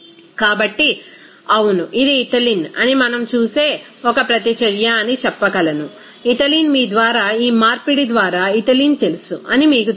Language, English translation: Telugu, So, we can say that yeah this is one reaction that we see are ethylene, ethylene is given that, you know by this you know that by this conversion of you know ethylene